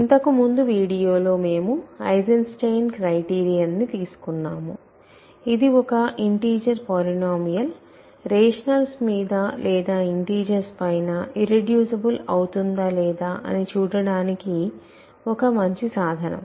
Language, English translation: Telugu, In the last video we considered the Eisenstein criterion which is a good way of measuring or checking whether a polynomial integer polynomial is irreducible either over the rationals or the integers